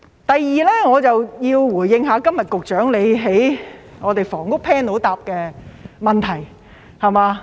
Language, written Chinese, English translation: Cantonese, 第二，我要回應局長今天在房屋 Panel 回答的問題。, Secondly I would like to respond to the Secretarys reply to a question in the Panel on Housing today